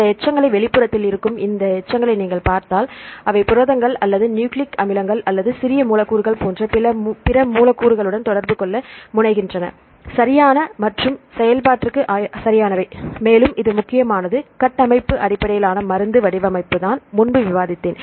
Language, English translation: Tamil, See if you look into these residues which are at the outer surface right these residues, they tend to interact with other molecules such as proteins or nucleic acids or small molecules right for the interactions right and for the function, and this is also important for the structure based drug design just I discussed earlier